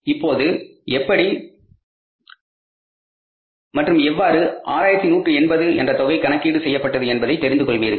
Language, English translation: Tamil, Now you will find out why and how this 618 has been calculated